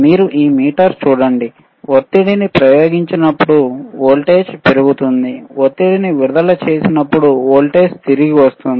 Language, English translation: Telugu, yYou look at this meter right, applying pressure increases voltage increases; , releasing the pressure voltage comes back